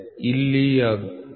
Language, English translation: Kannada, So, here it is 39